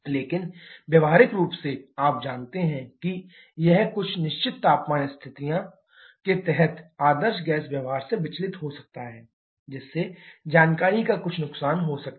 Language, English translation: Hindi, But practically, you know that it can deviate from ideal gas behaviour under certain temperature conditions, so that can lead to some loss of information